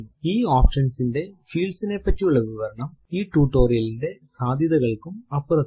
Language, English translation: Malayalam, Explanation of the fields of this option is beyond the scope of the present tutorial